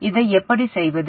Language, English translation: Tamil, How do we do this